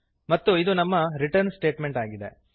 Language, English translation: Kannada, And this is the return statement